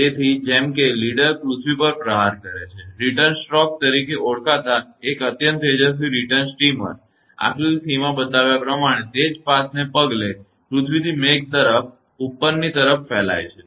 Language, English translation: Gujarati, So, as the leader strikes the earth; an extremely bright return steamer called returns stroke, propagates upward from the earth to the cloud following the same path as shown in figure c